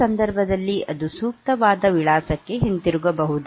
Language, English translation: Kannada, So, in case of so, that it can return to the appropriate address